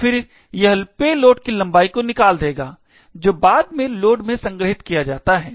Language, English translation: Hindi, So, then it would extract the payload length which is then stored in the load